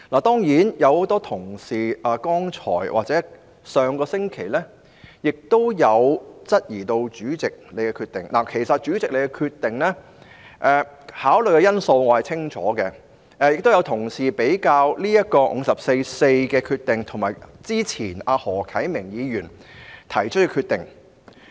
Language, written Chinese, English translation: Cantonese, 當然，很多同事剛才或上星期亦有質疑主席的決定——其實我清楚了解主席就其決定所考慮的因素——亦有同事將主席對《議事規則》第544條的決定與何啟明議員較早前提出的決定作比較。, Sure enough in the debate just now or last week many colleagues also queried the Presidents decision―I actually clearly understand the factors taken into consideration by the President in making his decision―and some colleagues also made a comparison between the Presidents decision concerning Rule 544 of the Rules of Procedure and the decision made by Mr HO Kai - ming earlier